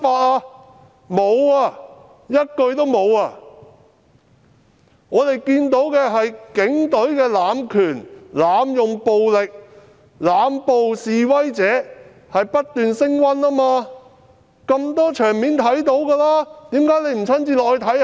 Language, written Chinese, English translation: Cantonese, 市民從多個場面看到的是警隊濫權、濫用暴力、濫捕示威者，而且情況不斷升溫。, The public have seen from many scenes that the Police have abused their powers employed excessive force and made arrests arbitrarily and worse still the situation has intensified continuously